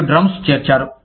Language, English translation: Telugu, And, the drums were joined